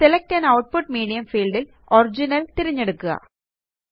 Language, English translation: Malayalam, In the Select an output medium field, select Original